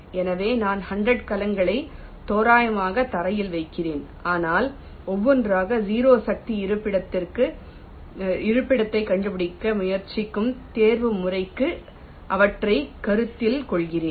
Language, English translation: Tamil, so i am randomly placing the hundreds cells on the floor, but one by one i am considering them for optimization, trying to find out the zero force location